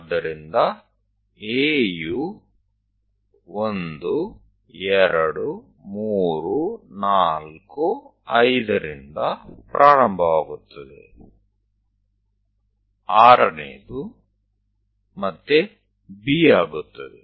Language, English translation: Kannada, So, A begin with that 1, 2, 3, 4, 5; the sixth one is again B